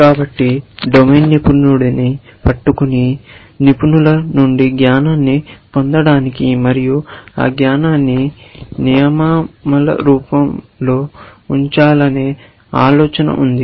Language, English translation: Telugu, So, we catch a domain expert and try to get knowledge out of expert, and put it in the form of rules